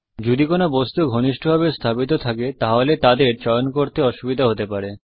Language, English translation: Bengali, If some objects are closely placed, you may have difficulty in choosing them